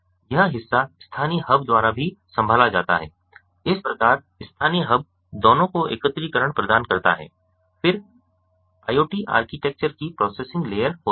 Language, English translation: Hindi, thus the local hub provides functionalities common to both are aggregation, then the processing layer of the iot architecture